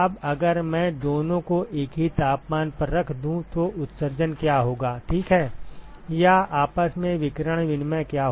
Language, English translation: Hindi, Now if I maintain the two at the same temperature ok, what will be the emission, or what will be the radiation exchange between itself